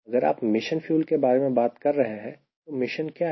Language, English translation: Hindi, if you are talking about mission fuel, what is the mission